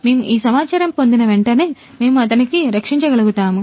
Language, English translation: Telugu, So, as soon as we get this information, we will be able to rescue him